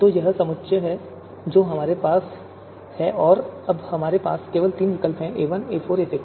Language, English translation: Hindi, So this is the set that we have and we have now just three alternatives, a1, a4, a6